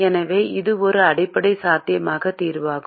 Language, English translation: Tamil, so it is a basic, feasible solution